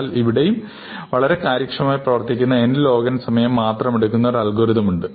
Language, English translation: Malayalam, Now, it turns out, that there is a clever algorithm, again, which takes time n log n